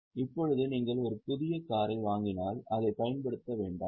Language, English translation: Tamil, Now, if you purchase a brand new car, don't use it